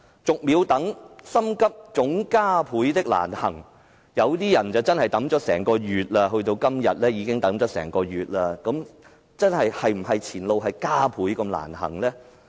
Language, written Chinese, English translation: Cantonese, "逐秒等心急總加倍的難行"，有些人真的等了整個月，直至今天已等了整整一個月，前路是否真會加倍難行呢？, Some people have really been waiting over the past month . By today it has been one whole month now . Is the road ahead really fraught with increasing difficulties?